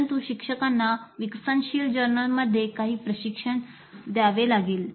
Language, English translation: Marathi, But instructors may have to provide some training to the learners in developing journals